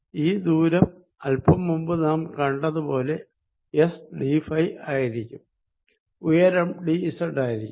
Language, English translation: Malayalam, this distance is going to be, as we just saw, s d phi and the height is d z